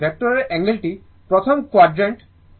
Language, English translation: Bengali, So, angle of the voltage this is first quadrant